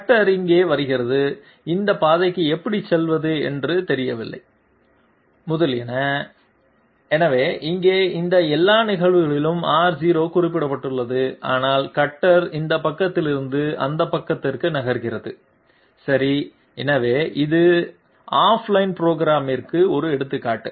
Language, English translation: Tamil, The cutter comes here; it does not know how to move to this path, etc et cetera, so here in all these cases R0 has been mentioned so that the cutter moves from this side to that side okay, so this is an example of off line programming